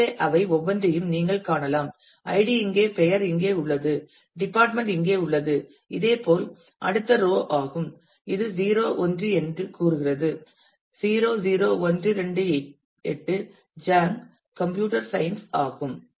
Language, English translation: Tamil, So, you can see each one of them the ID is here the name is here the department is here similarly this is a next row where it is saying it is 0 1; 00128 Zhang Computer Science